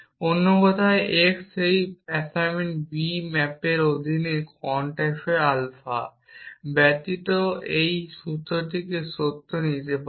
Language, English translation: Bengali, In other words x can take any value the formula now without the quantify alpha I under that assignment B map to true